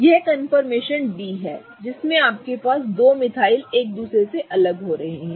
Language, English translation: Hindi, It is the confirmation D in which you have these two metals going apart from each other